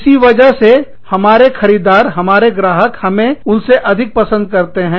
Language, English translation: Hindi, Because of which, our buyers, our clients, prefer us over them